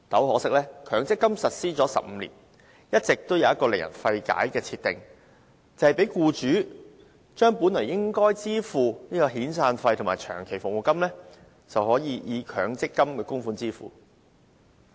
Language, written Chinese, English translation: Cantonese, 可惜強積金實施了15年，一直有一項令人費解的政策，讓僱主可將本應支付的遣散費及長期服務金，以強積金僱主供款對沖。, Unfortunately ever since the implementation of MPF 15 years ago a puzzling policy that allows employers to offset employers contributions to MPF against the severance payments and long service payments that they are originally required to make has all along been in place